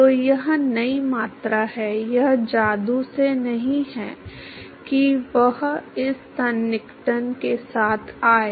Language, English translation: Hindi, So, that is the new quantity, it is not by magic that he came up with this approximation